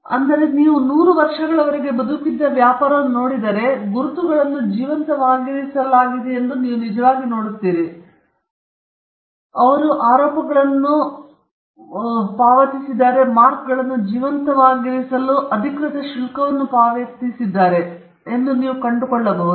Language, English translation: Kannada, But if you look at a business that has survived for 100 years, then you would actually see that the marks have been kept alive, they have payed the charges, official fees for keeping the marks alive, and you will find that it can be